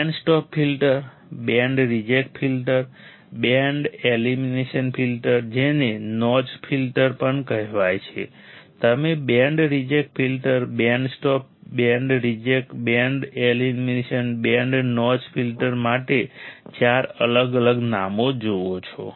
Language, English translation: Gujarati, Band stop filter, band reject filter, band elimination filter also called notch filter you see four different names for band reject filter, band stop, band reject, band elimination, band notch filter alright